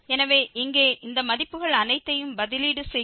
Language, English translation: Tamil, So, here substituting all these values